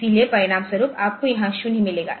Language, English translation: Hindi, So, the as a result you will get a 0 here